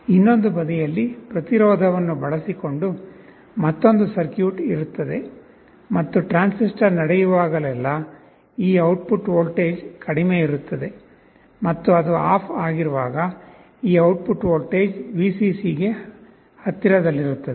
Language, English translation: Kannada, And on the other side, there will be another circuit using a resistance and this transistor, whenever the transistor is conducting this output voltage will be low, and when it is off this output voltage will be close to Vcc